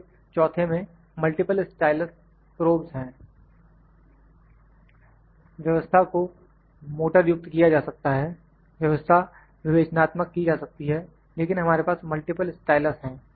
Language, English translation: Hindi, So, in the 4th one, multiple styluses probe, the system can be motorized, system can be inductive, but we have multiple styluses